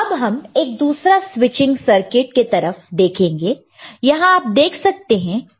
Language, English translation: Hindi, Now, we will look at another such circuit, a switching circuit where these are there you can see there are 2 switches – ok